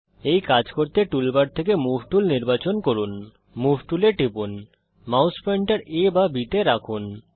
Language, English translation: Bengali, Select the Move tool from the tool bar, click on the Move tool Place, the mouse pointer on A or on B